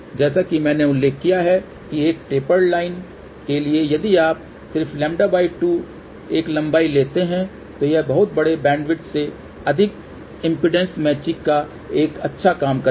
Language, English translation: Hindi, As I mention , for a tapered line itself if you just take a length about lambda by 2, it will do a fairly good job of impedance matching over very large bandwidth